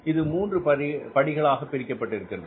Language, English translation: Tamil, So, it is divided into three steps